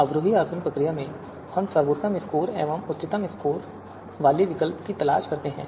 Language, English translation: Hindi, In the one, in the descending one, we look for the alternative with the best score, the highest qualification score